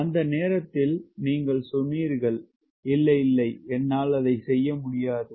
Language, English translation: Tamil, at that point you said no, no, i cannot do that